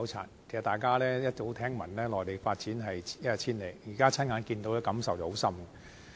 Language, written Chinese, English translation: Cantonese, 事實上，大家早已聽聞內地的發展一日千里，現在親眼目睹，的確有很深刻的感受。, We have long since heard of the rapid development in the Mainland but the things we saw with our own eyes this time around really impress us very deeply . We saw many achievements in this visit